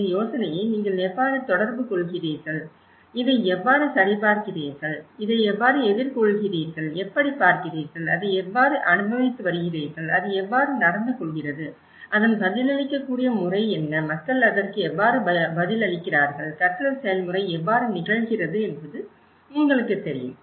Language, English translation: Tamil, So, this is all about the trade and error process of how you develop this idea and how you communicate this idea and how you check this, how you countercheck this and how you see, how it has been experiencing it, how it is behaving, what is a responsive pattern of it, how people are responding to it, you know that is how the learning process happens